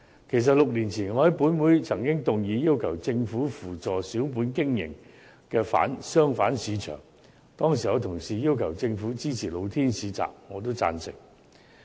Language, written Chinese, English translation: Cantonese, 其實，我於6年前曾在本會動議議案，要求政府扶助小本經營的商販市場，當時有同事要求政府支持露天市集，我也贊成。, As a matter of fact six years ago I moved a motion in this Council requesting the Government to support the markets for traders running small businesses . At that time some Honourable colleagues sought the Governments support for open - air markets and I supported it too